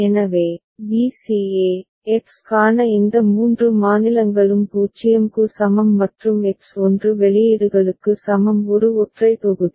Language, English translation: Tamil, So, b c e, these three states for X is equal to 0 and X is equal to 1 outputs are of one single block